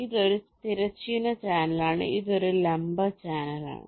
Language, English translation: Malayalam, this is a vertical channel, vertical channel